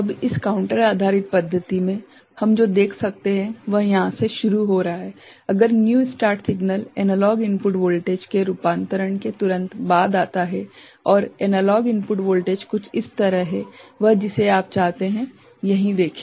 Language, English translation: Hindi, Now, in this counter based method, what we can see, that it is starting from here, if the new start signal comes immediately after one conversion of the analog input voltage and the analog input voltage is something like this the one you that you see over here right